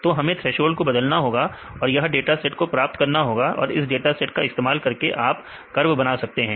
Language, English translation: Hindi, So, we need to change the threshold and get this set of data; using this set of data you can make a curve